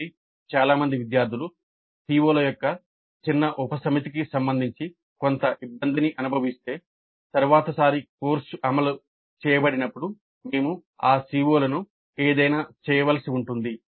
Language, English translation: Telugu, So if most of the students feel certain difficulty with respect to a small subset of COs, then we may have to do something with respect to those COs the next time the course is implemented